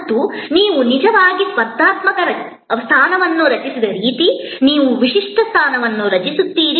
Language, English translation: Kannada, And this is the way you actually created competitive position, you create a distinctive position